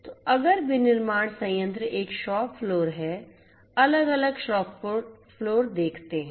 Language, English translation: Hindi, So, if the manufacturing plant has a shop floor, different shop floors are there